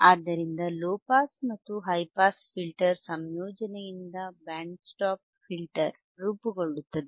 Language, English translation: Kannada, So, the band stop filter is formed by combination of low pass and high pass filter